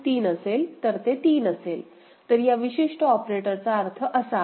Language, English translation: Marathi, 3 it will be 3, so that is the meaning of this particular operator ok